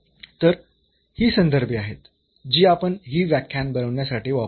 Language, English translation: Marathi, So, these are the references we have used for preparing these lectures